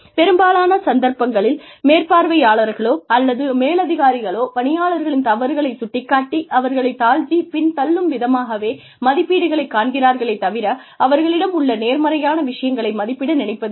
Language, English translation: Tamil, Again, in most cases, supervisors or superiors see, appraisals as a way, to pull down the employees, to point out their mistakes, and not really appraise their positive points